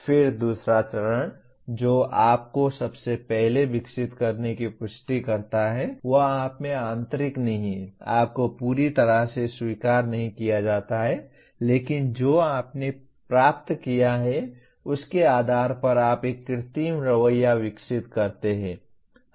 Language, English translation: Hindi, Then the other stage that comes confirming you first develop it is not internalizing in you, you are not completely accepted but based on what you have received you develop an artificial attitude